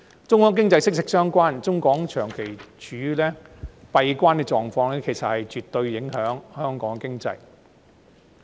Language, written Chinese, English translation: Cantonese, 中港經濟息息相關，中港長期處於閉關的狀況，其實絕對影響着香港的經濟。, Given the deep economic ties between Hong Kong and the Mainland the prolonged boundary closures on both sides definitely have a bearing on the economy of Hong Kong